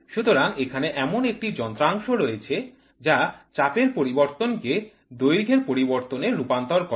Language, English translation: Bengali, Therefore, a secondary measurement requires an instrument which translates pressure change into length change